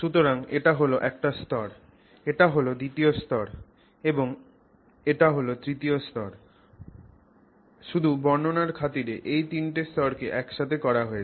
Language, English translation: Bengali, So, this is one layer, this is a second layer and this is a third layer just for description sake we have put three layers together